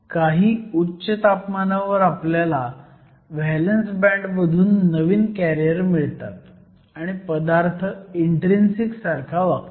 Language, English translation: Marathi, At some high temperature, we are going to get new carriers from the valence band, the material behaves like intrinsic